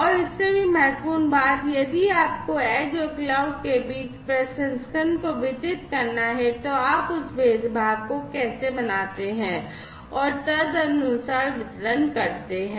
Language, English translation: Hindi, And more importantly, if you have to distribute the processing between the edge and the cloud, then how do you make that differentiation and correspondingly the distribution